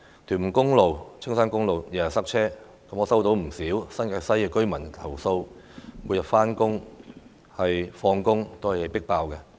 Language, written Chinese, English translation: Cantonese, 屯門公路、青山公路天天塞車，我接獲不少新界西居民投訴，每天上下班期間的車廂總是"迫爆"的。, Tuen Mun Road and Castle Peak Road suffer congestion day in day out . I have received quite a number of complaints from residents of the New Territories West alleging that the train compartments are always overcrowded during daily commuting hours